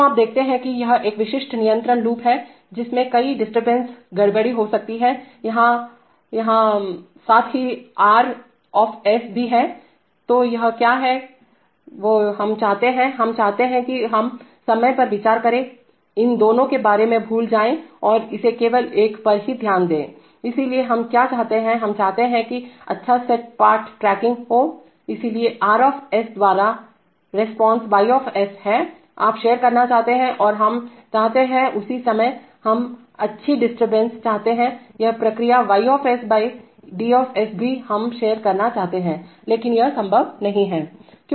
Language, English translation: Hindi, So you see that this is a typical control loop right, in which several disturbances maybe acting here, here, here, as well as R, so what is it that we want, we want let us say for the time being consider, forget about these two and consider only this one, so what do we want, we want that good set part tracking, so this is the response Y by R, you want to share and we want to at the same time, we want good disturbance, this response Y/ D0 also we want to share, but that is not possible